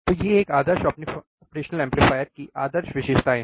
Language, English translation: Hindi, So, these are the ideal characteristics of an ideal operational amplifier